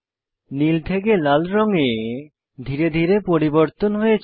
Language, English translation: Bengali, There is gradual change in the color from red to blue